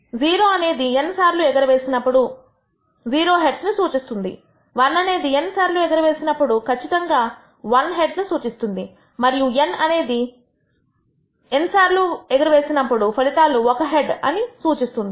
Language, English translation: Telugu, 0 represents that you observe 0 heads in all the n tosses 1 represents we exactly observe 1 head in n tosses and n represents that all the tosses results in a head